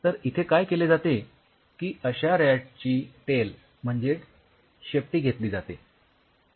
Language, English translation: Marathi, What you do you just take that tail of the RAT